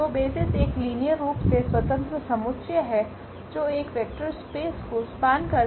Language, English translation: Hindi, So, the basis is a linearly independent set that span a vector space